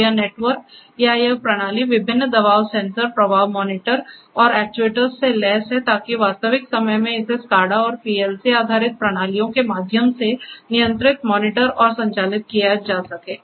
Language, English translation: Hindi, So, this network or this system is equipped with various pressure sensors, flow monitors and actuators in order to control, monitor and operate it in the real time ok, through a SCADA and PLC based systems